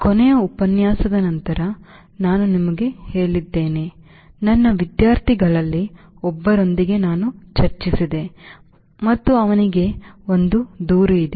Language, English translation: Kannada, ah, and let me, let let me tell you, after the last lecture i had a discussion with my one of my students and he had a complaint